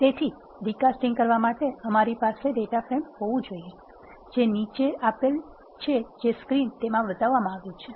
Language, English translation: Gujarati, So, in order to do recasting we have to have a data frame, which is the following which is shown in screen